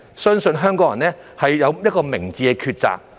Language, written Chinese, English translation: Cantonese, 相信香港人一定有明智的抉擇。, I believe Hong Kong people will make an informed choice